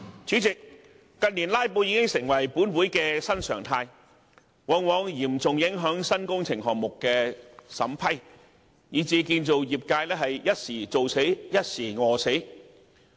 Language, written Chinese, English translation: Cantonese, 主席，近年"拉布"已成立法會新常態，往往嚴重影響新工程項目審批，以至建造業"一時做死，一時餓死"。, President in recent years filibuster has become the new norm in the Legislative Council and has seriously affected the approval of new projects resulting in a highly fluctuating workload in the construction industry in which practitioners in the industry are either overworked or underemployed